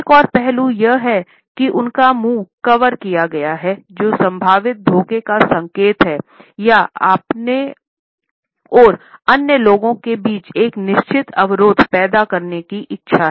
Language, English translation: Hindi, Another aspect is that his mouth has been covered which is indicative of a possible deception or a desire to create a certain barrier between himself and the other people